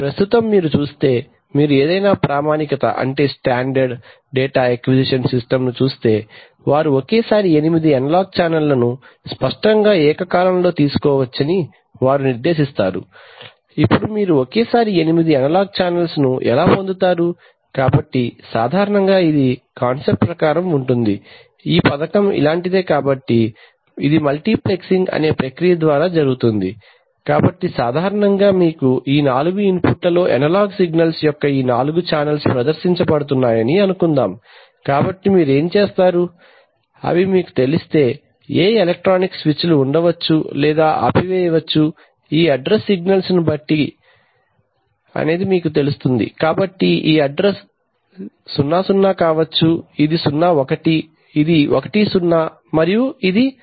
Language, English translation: Telugu, Now you have, so this is how you, condition the each analog channel before you present it for AD conversion, right, now it turns out if you see, if you see any standard data acquisition system that they typically will specify that they can take eight analog channels simultaneously, apparently simultaneously, now how do you get eight analog channel simultaneously, so typically it is the conceptually, the scheme is something like this so it is done through a process called multiplexing, so typically you have, you know, let us say these four channels of analog signals are being presented at these four inputs right, so what you do is, if you, these are, you know, electronic switches which can be put on or off depending on this address signals, so maybe this address is 0 0 this is 0 1this is 1 0 and this 1 1 right